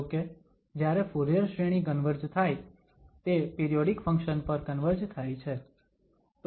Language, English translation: Gujarati, However, when a Fourier series converges, it converges to a periodic function